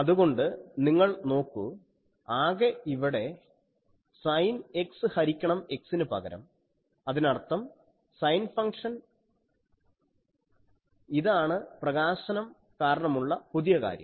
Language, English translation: Malayalam, So, you see only here instead of a sin X by X that means, sine function this is the new thing due to the illumination